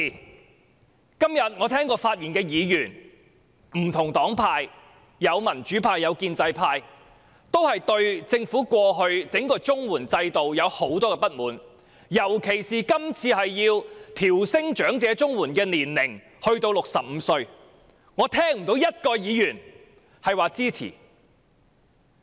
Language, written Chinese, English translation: Cantonese, 我今天聽到不同黨派的議員發言，民主派和建制派均對政府過往整個綜合社會保障援助計劃制度有很多不滿，尤其是今次要把申領長者綜援的年齡提高至65歲，我聽不到有任何議員表示支持。, When I listened to the speeches given by Members from different parties and groupings today both the democratic and pro - establishment camps are very much dissatisfied with the entire system of the Comprehensive Social Security Assistance CSSA Scheme implemented by the Government in the past especially raising the eligibility age for elderly CSSA to 65 this time around . I have not heard any Members indicating their support to it